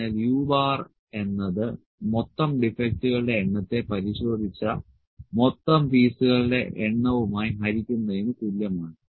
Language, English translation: Malayalam, So, u bar is the total number of defects by total number of pieces those are inspected